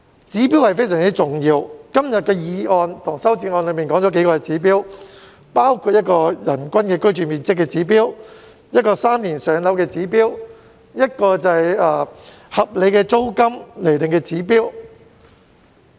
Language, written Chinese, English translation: Cantonese, 指標非常重要，今天的議案及修正案均提到幾個指標，包括人均居住面積指標、"三年上樓"的指標，以及合理租金釐定的指標。, Standards are highly important . The motion and the amendments today have mentioned several standards including the standard for the average living space per person the standard of three - year waiting time for public rental housing PRH allocation and the standard for determining a reasonable rent level